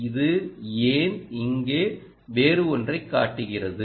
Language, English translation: Tamil, why does it show something else here